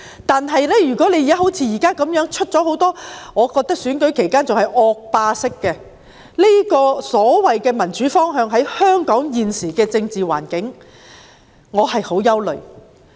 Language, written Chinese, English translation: Cantonese, 但是，如果好像現時這樣，在選舉期間出現我認為是惡霸式的所謂民主方向，那麼在香港現時的政治環境下，我便感到很憂慮。, However if like what has happened now a so - called direction of democracy which I consider villainous will emerge during times of election given the present political situation in Hong Kong I feel gravely concerned